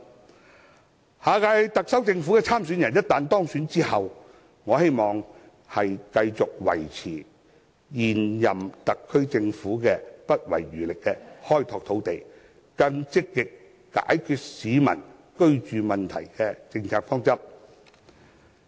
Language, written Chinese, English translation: Cantonese, 我希望下一屆特首參選人在當選之後，繼續維持現任特區政府不遺餘力地開拓土地，更積極解決市民居住問題的政策方針。, I also hope that after the new Chief Executive is elected he or she will continue the policy direction of the incumbent SAR Government in vigorously developing new land and actively addressing peoples housing problems